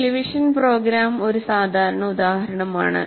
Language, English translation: Malayalam, Typical example is a television program